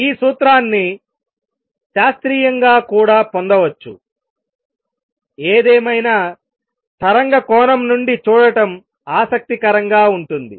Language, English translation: Telugu, This formula can also be derived classically; however, it is interesting to look at it from the wave perspective